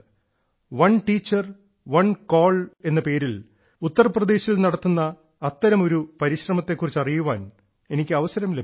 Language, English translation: Malayalam, I got a chance to know about one such effort being made in Uttar Pradesh "One Teacher, One Call"